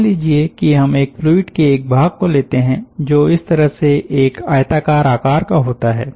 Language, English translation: Hindi, let us say that we take an element of a fluid which is of a rectangular shape like this